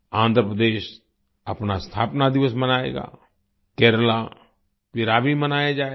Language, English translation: Hindi, Andhra Pradesh will celebrate its foundation day; Kerala Piravi will be celebrated